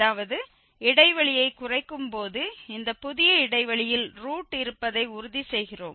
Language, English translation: Tamil, That means while narrowing down the interval we are making sure that the root lies in this new interval